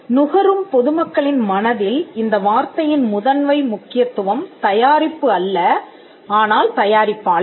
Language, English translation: Tamil, Primary significance of the term in the minds of the consuming public is not the product, but the producer